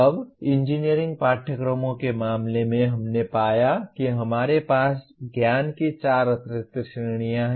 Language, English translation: Hindi, Now in case of engineering courses, we found that we have four additional categories of knowledge